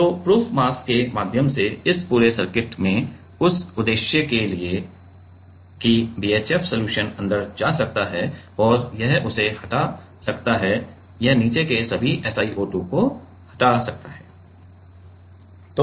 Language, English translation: Hindi, So, in up through the proof mass this whole circuit for that purpose that the BHF solution can go in and it can etch it can etch all the SiO2 below it